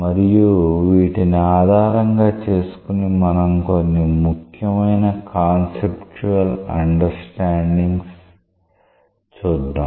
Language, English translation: Telugu, Now, based on these we will come up with a few important conceptual understandings